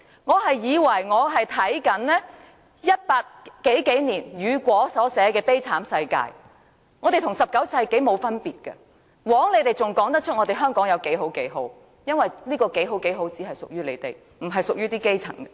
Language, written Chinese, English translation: Cantonese, 我以為我是在看1800年代雨果所寫的悲慘世界，我們現在與19世紀沒有分別，枉建制派議員還敢說香港有多好多好，這些好事只屬於他們，不屬於基層。, I thought I was reading Victor HUGOs Les Miserables written in the 1800s . There is no difference between our world and his in the 19 century . How dare the pro - establishment Members say how good and how wonderful Hong Kong is